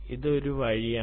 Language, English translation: Malayalam, this is one way